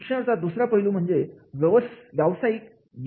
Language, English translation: Marathi, Second aspect of the education is for the occupational success